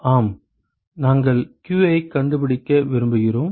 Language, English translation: Tamil, Yes we want to find q